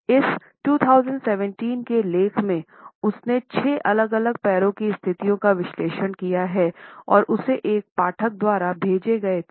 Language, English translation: Hindi, In this 2017 article she has analyzed six different leg positions which were sent to her by a reader